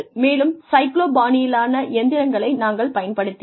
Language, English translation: Tamil, And, we used to have the cyclostyle machines